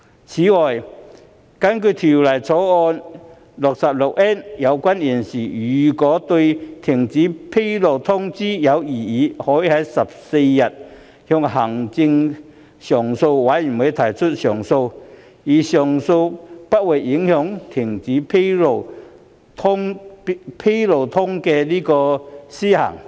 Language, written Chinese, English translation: Cantonese, 此外，根據《條例草案》第 66N 條，有關人士如對停止披露通知有異議，可在有關通知發出的14日內，向行政上訴委員會提出上訴反對該通知，而上訴程序不會影響停止披露通知的施行。, Besides under clause 66N of the Bill if the person concerned has objections to the cessation notice served on him an appeal may be made to the Administrative Appeals Board AAB against the cessation notice not later than 14 days after the notice is served and the appeal process does not affect the operation of the cessation notice